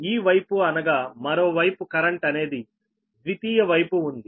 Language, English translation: Telugu, this current is this secondary side